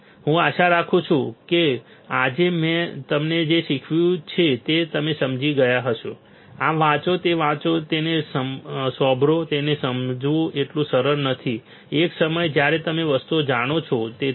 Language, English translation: Gujarati, So, I hope you understood what I have taught you today, understand this read this listen to it is not so easy to grasp it, at one time even when you know the things